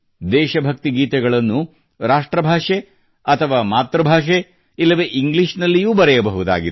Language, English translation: Kannada, These patriotic songs can be in the mother tongue, can be in national language, and can be written in English too